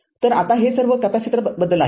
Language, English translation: Marathi, So, now this is this is all about capacitor